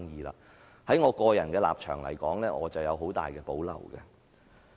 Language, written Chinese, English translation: Cantonese, 在我的個人立場而言，我有很大保留。, From my personal standpoint I hold great reservations